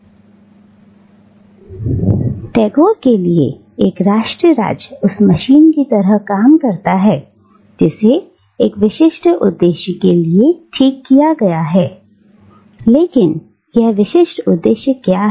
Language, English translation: Hindi, So, but for Tagore, a nation state works just like a machine which has been fine tuned for a specific purpose and what is this specific purpose